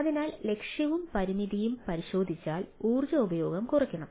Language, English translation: Malayalam, if we look at the goal and constraint, energy consume must be minimized